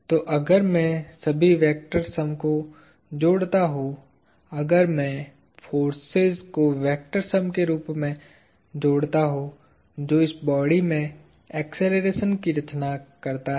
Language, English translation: Hindi, So, if I add all the vectors sum; if I add the forces as a vector sum; that creates an acceleration of this body